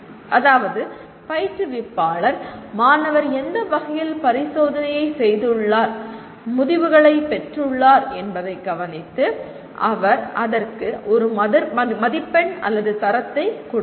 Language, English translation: Tamil, That means once the instructor observes to in what way the student has performed the experiment and got the results he will give a mark or a grade to that